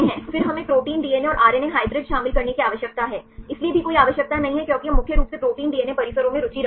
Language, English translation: Hindi, Then we need to contain protein DNA and the RNA hybrid, there also no need because we are mainly interested in protein DNA complexes